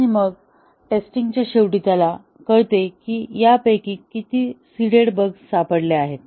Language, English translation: Marathi, And then, at the end of the testing he finds out how many of these seeded bugs have been discovered